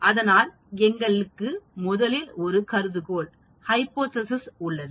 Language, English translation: Tamil, So we originally have a hypothesis